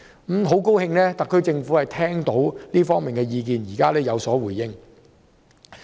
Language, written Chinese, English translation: Cantonese, 我很高興特區政府聽取這方面的意見，現在有所回應。, I am very glad that the SAR Government has listened to this opinion and given a response